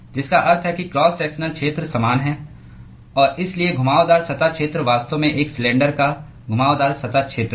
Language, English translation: Hindi, is constant which means that the cross sectional area is same and therefore, the curved surface area is actually a curved surface area of a cylinder